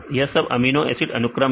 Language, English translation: Hindi, These are amino acid sequence